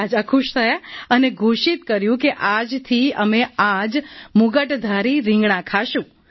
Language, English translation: Gujarati, " The king was pleased and declared that from today he would eat only this crown crested brinjal